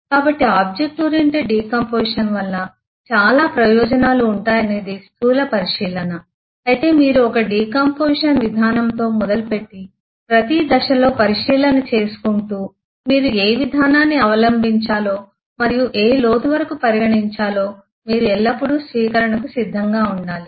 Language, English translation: Telugu, So it is it is gross observation that object oriented decomposition will have a lot of advantages but you should always remain open in terms of starting with the one decomposition approach and at every stage evaluating, considering as to which approach you should adopt and up to which depth